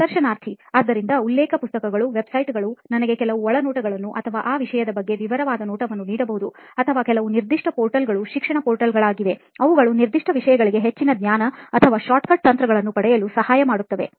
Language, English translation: Kannada, So reference books, websites which could give me some more insights about, or detailed view about that thing, or some portals which are the education portals which helps in gaining more knowledge or shortcut tricks for those particular things